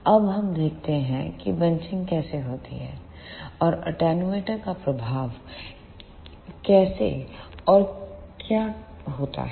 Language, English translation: Hindi, Now, let us see how bunching takes place, and how and what are the effect of attenuator